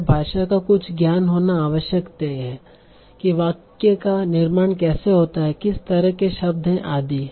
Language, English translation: Hindi, So we need to have some knowledge about the language, how the sentences are constructed, what kind of words are there, and so on